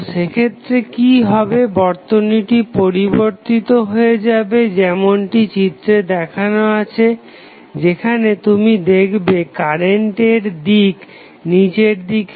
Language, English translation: Bengali, So, what would happen in that case, the circuit will be modified as shown in this figure, where you will see the direction of ease downward